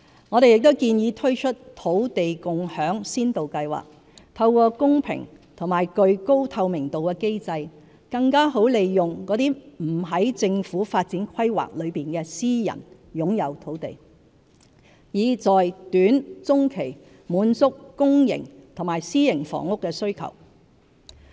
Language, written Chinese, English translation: Cantonese, 我們亦建議推出"土地共享先導計劃"，透過公平和具高透明度的機制，更好利用那些不在政府發展規劃內的私人擁有土地，以在短中期滿足公營和私營房屋的需求。, We also propose introducing the Land Sharing Pilot Scheme so that private land not covered by the Governments planned development may be better utilized through a fair and highly transparent mechanism to meet the needs of both public and private housing in the short - to - medium term